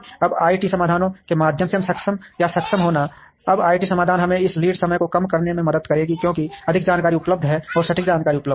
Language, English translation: Hindi, Now, enabling or getting enabled through IT solutions, now IT solutions would help us reduce, this lead time, because more information is available and accurate information is available